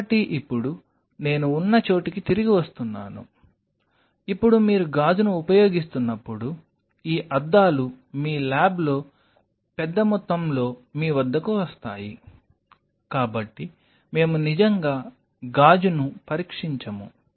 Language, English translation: Telugu, So now, coming back where I was, so now whenever you are using glass so these glasses arrive at your disposal in your lab in bulk we really never test a glass